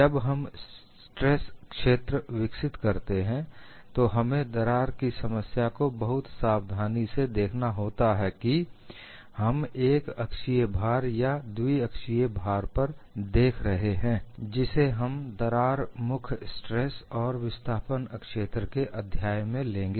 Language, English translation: Hindi, When we develop the stress field we have to look at very carefully for the problem of a crack, are we looking at a uniaxial loading or a biaxial loading, which we would look when we take up the chapter on crack tip stress and displacement fields